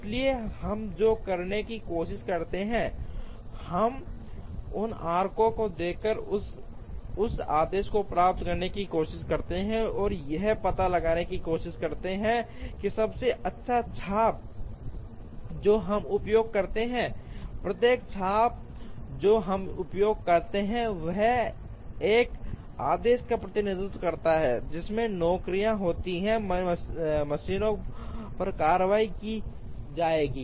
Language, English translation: Hindi, So, what we try to do is we try to get that order by looking at these arcs, and try to find out what is a best arc that we use, each arc that we use represents an order in which the jobs are going to be processed on the machines